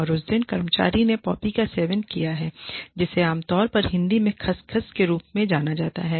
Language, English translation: Hindi, And, on that day, the employee has consumed, poppy seeds, which is more commonly known as, Khus Khus in Hindi